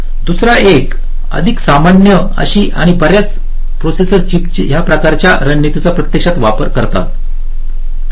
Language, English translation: Marathi, the second one is more general and many processor chips actually use this kind of a strategy